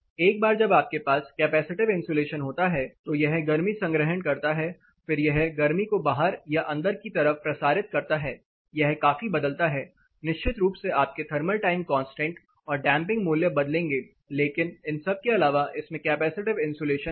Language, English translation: Hindi, Once you have capacitive insulation, this is storing heat, it is re releasing heat, it can be inside, it can be outside, it is varies considerably of course your thermal constant or damping values will considerably vary but apart from that this has capacitive insulation